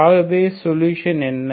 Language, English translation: Tamil, So what is the solution